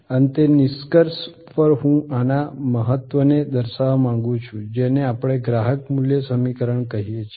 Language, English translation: Gujarati, Lastly to conclude I would like to point out the importance of this, what we call the customer value equation